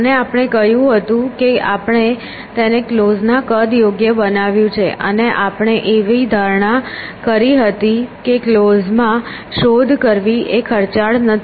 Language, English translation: Gujarati, And we had said we appropriate it with the size of closed and there we had made an assumption that checking in closed is not expensive